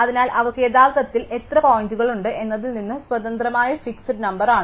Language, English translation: Malayalam, So, that is the fix number independent of how many points they actually have